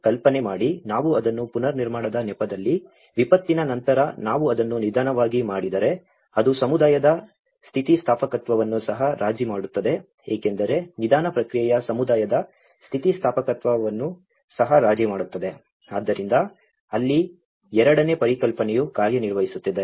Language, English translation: Kannada, Imagine, if we on the pretext of build back better, if we do it very slowly after a disaster, then on the pretext of build back better then, it will also compromise the community resilience because the slow process also will compromise the community resilience, so that is where the second concept is working